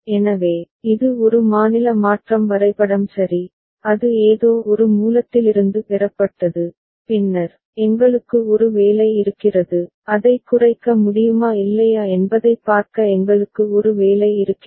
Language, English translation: Tamil, So, this is one state transition diagram ok, that has been obtained from some source right and then, we have a job, we have a job to see whether it can be minimized or not